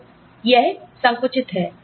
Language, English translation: Hindi, So, that, this is compressed